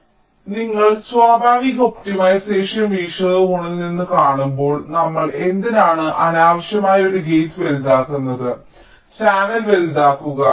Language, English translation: Malayalam, now, you see, from natural optimization point of view, why should we unnecessarily make a gate larger, the channel larger